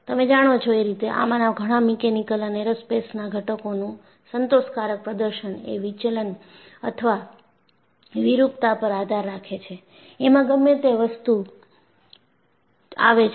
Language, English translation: Gujarati, You know, for many of this mechanical and aerospace components, the satisfactory performance of the component depends on deflection or deformation, whatever that comes across